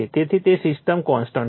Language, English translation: Gujarati, So, it is system is constant